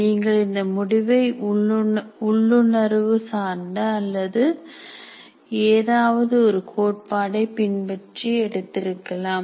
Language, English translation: Tamil, You may do that decision intuitively or following some theory